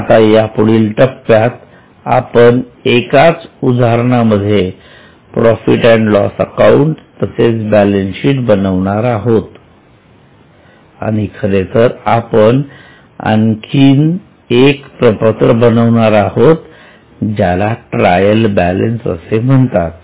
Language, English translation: Marathi, Now we are going to next step where for the same case we will prepare P&L as well as balance sheet in fact we will also prepare one more statement known as trial balance